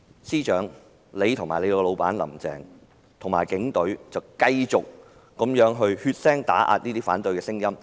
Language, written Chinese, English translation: Cantonese, 司長及他的老闆"林鄭"和警隊卻繼續血腥打壓反對的聲音。, Yet the Chief Secretary and his boss Carrie LAM and the Police Force continued to crack down on opposition with bloodshed